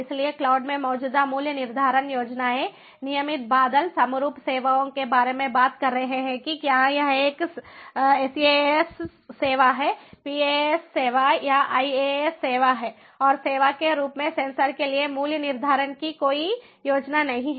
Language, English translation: Hindi, so existing pricing schemes in the cloud the regular cloud are talking about homogenous services, whether it is a saas service, the paas service or iaas service, and there is no scheme for pricing for sensors as a service